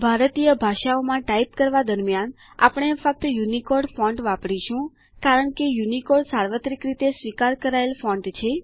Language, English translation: Gujarati, We shall use only UNICODE font while typing in Indian languages, since UNICODE is the universally accepted font